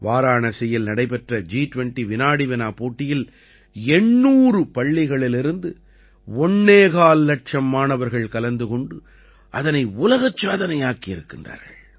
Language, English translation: Tamil, 25 lakh students from 800 schools in the G20 Quiz held in Varanasi became a new world record